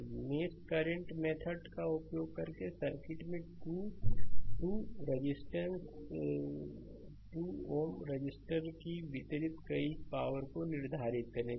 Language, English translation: Hindi, So, using mesh current method determine power delivered to the 2, 2 ohm register in the circuit